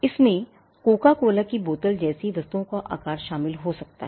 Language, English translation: Hindi, It can include shape of goods like the Coca Cola bottle